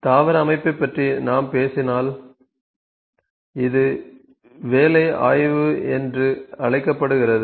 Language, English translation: Tamil, You know if we talk about plant layout this is work study